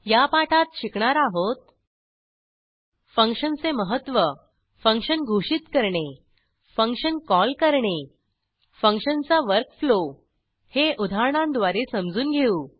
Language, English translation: Marathi, In this tutorial we learnt, * Importance of functions * Function declaration * Function call * Work flow of function * with an example As an assignment